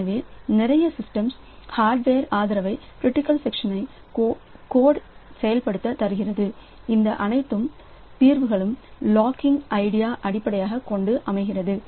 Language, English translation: Tamil, So, many systems provide hardware support for implementing the critical section code and all solutions are based on the idea of locking